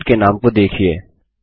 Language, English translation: Hindi, Look at the field names